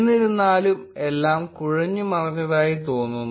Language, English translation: Malayalam, However, it looks all jumbled up